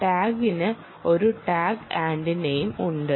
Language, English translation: Malayalam, the tag also has a tag antenna associated